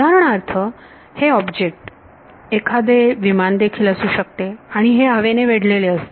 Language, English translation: Marathi, So, for example, this object could be a aircraft and it is surrounded by air